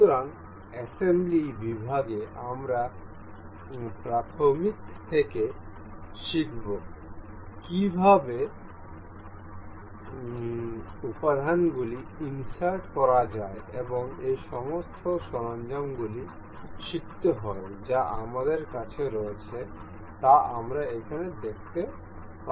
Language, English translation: Bengali, So, in assembly section we will learn to learn to learn from elementary to how to insert components and learn all of these tools that we have we can see over here